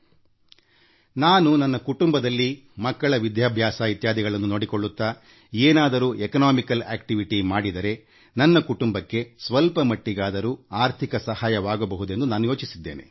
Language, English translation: Kannada, She wrote, that she thought about engaging in some economic activity keeping in mind her responsibilities such as children's education, to lend some financial assistance to her family